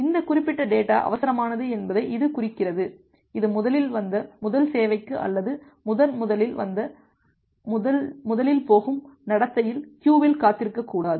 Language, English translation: Tamil, It indicates that this particular data is urgent that should be should not wait inside the queue for this first come first serve or first in first out behavior